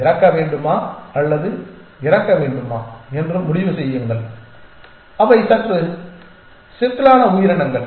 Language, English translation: Tamil, And decide whether to die or not to die they were slightly more complex creatures